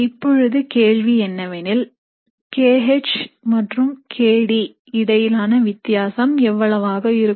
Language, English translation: Tamil, Now the question is, how much will be the difference between kH and kD